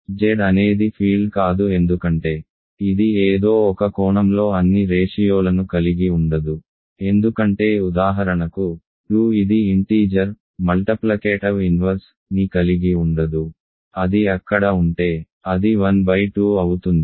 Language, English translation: Telugu, Z is not a field because it does not contain all ratios right in some sense because for example, 2 which is an integer does not have a multiplicative inverse; if it was there it would be 1 by 2